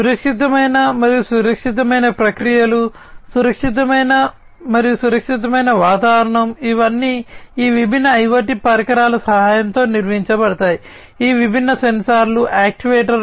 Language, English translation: Telugu, Safe and secure processes, safe and secure environment, these are all going to be performed with the help of these different IoT devices, these different sensors actuators etcetera